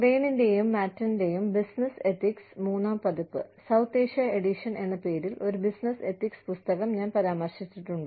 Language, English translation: Malayalam, I have referred to a, business ethics book called, Business Ethics, Third Edition, South Asia Edition by, Crane and Matten